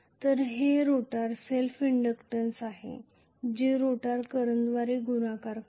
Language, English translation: Marathi, So, this is the rotor self inductance multiplied by the rotor current itself